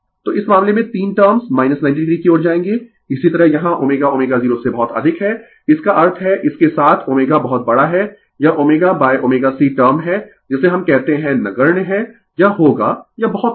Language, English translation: Hindi, So, in this case 3 term will tends to minus 90 degree, similarly here omega is much much higher than omega 0 ; that means, with this omega is very large this omega upon omega C term is what we call is negligible it will it is very small